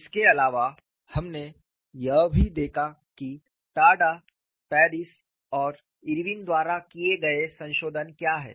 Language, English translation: Hindi, In addition to this, we also saw what are the modifications done by Tada, Paris and Irwin